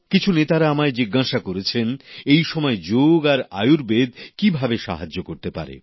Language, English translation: Bengali, Many leaders asked me if Yog and Ayurved could be of help in this calamitous period of Corona